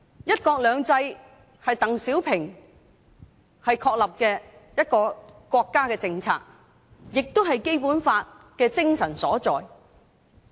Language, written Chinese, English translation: Cantonese, "一國兩制"是鄧小平確立的國家政策，亦是《基本法》的精神所在。, One country two systems is the national policy established by DENG Xiaoping and also the spirit of the Basic Law